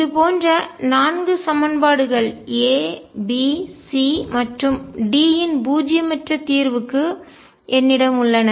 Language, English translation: Tamil, And I have 4 equations like this for a non zero solution of A B C and D what should happen